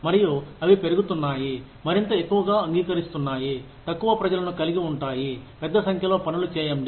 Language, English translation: Telugu, And, they are increasingly, becoming more and more accepting of, having fewer people, do a large number of things